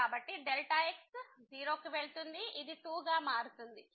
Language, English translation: Telugu, So, goes to 0 this will be coming as 2